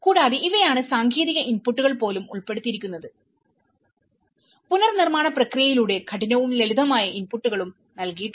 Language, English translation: Malayalam, And, this is where even the technical inputs have been incorporated there is also the hard and soft inputs have been provided through the reconstruction process